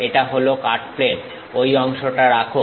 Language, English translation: Bengali, This is the cut plane; retain that part